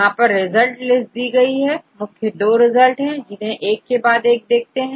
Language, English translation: Hindi, The results are listed here there are 2 results here let us say let us see one by one